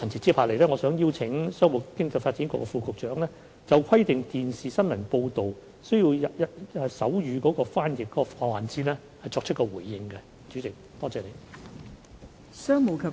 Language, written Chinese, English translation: Cantonese, 接下來，我想邀請商務及經濟發展局副局長就規定電視新聞報道需要手語翻譯的環節作出回應。, I will now invite the Under Secretary for Commerce and Economic Development to give a reply on the provision of sign language interpretation in television news broadcasts